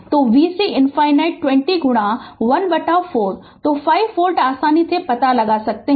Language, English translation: Hindi, So, you can find out easily v c infinity 20 into 1 by 4, so 5 volt right